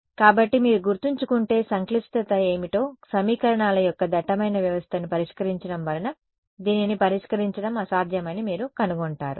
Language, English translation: Telugu, So, you will find that this becomes impractically difficult to solve because to solve a dense system of equations what was the complexity if you remember